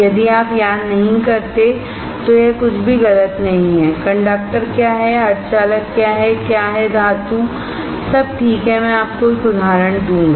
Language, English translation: Hindi, It is nothing wrong if you do not recall; what is conductor, what is semiconductor, what is metal; all right, I will give you an example